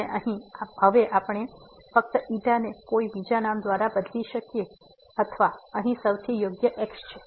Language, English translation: Gujarati, And now we can replace just this by some other name or the most suitable is in the setting here